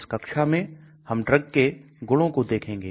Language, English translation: Hindi, In this class, we are going to look at drug properties